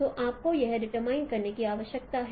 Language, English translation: Hindi, So you need to determine that